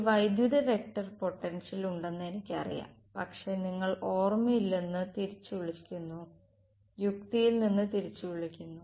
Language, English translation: Malayalam, I know there is a electric vector potential, but you are recalling from memory recalls from logic